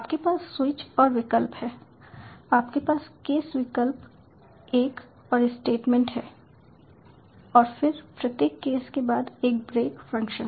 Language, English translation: Hindi, you have case option one and statement and then a break function after each case